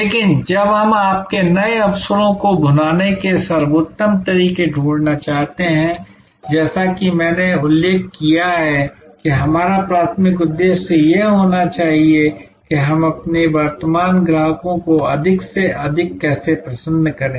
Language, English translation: Hindi, But, while we want to find the best ways to capitalize your new opportunities, as I mentioned our primary aim should be how to delight our current customers more and more